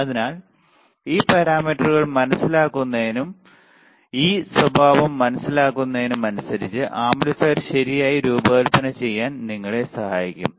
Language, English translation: Malayalam, So, so, understanding this parameters and understanding this characteristic would help us to design the amplifier accordingly right